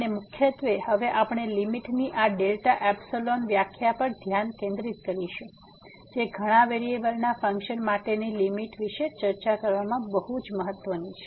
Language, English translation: Gujarati, And mainly, we will now focus on this delta epsilon definition of the limit which is very important to discuss the limit for the functions of several variable